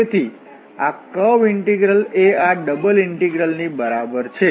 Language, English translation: Gujarati, So, this curve integral is equal to this double integral